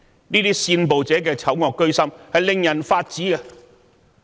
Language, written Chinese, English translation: Cantonese, 這些煽暴者的醜惡居心，令人髮指。, The evil intentions of these instigators are indeed outrageous